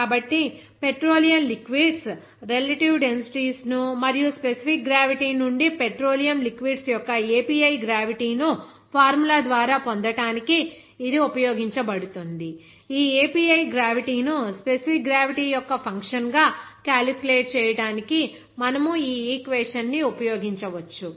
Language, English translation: Telugu, So it is used to compare the relative densities of petroleum liquids and the formula to obtain that API gravity of petroleum liquids from specific gravity, you can use this equation okay for calculation of that API gravity as a function of specific gravity